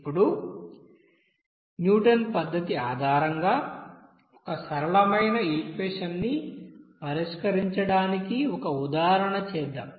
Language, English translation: Telugu, Now let us do an example based on this you know Newton's method for a set of nonlinear equation to solve